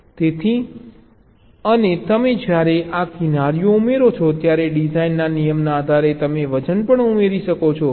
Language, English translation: Gujarati, so and you, when you add these edges, depending on the design rule, you can also add the weights